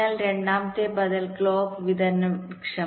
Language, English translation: Malayalam, the second alternative is the clock distribution tree